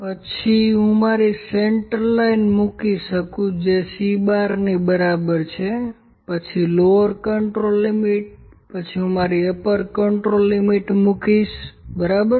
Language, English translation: Gujarati, Then I can have just put my central line that is equal to C bar then lower control limit, then I will put my upper control limit, ok